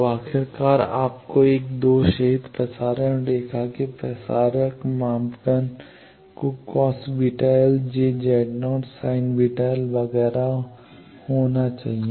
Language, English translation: Hindi, So, finally, you get the transmission parameters of a lossless transmission line to be cos beta l j Z naught sine beta l etcetera